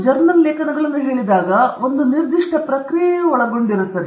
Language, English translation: Kannada, When you say a journal article, there is a certain process involved